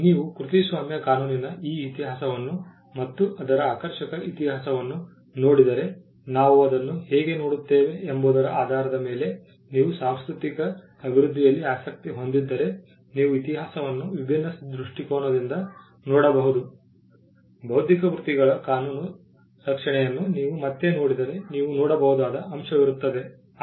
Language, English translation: Kannada, If you look at this history of copyright law and its quite a fascinating history depending on how we look at it if you are interested in the cultural development you can look at the history in a different perspective, if you look at legal protection of intellectual works again there is an aspect which you can look at